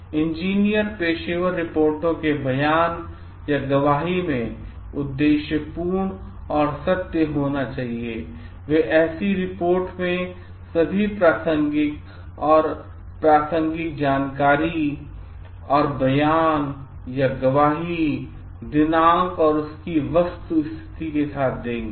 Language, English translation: Hindi, Engineers should be objective and truthful in professional reports statements or testimony, they shall include all relevant and pertinent information in such reports, statements or testimony which should bear the date when it was current